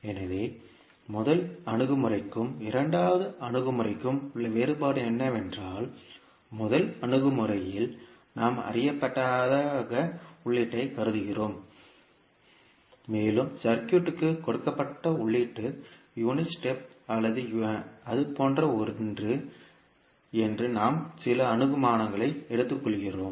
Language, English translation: Tamil, So, the difference between first approach and second approach is that – in first approach we assume input as known and we take some assumption that the input given to the circuit is maybe unit step or something like that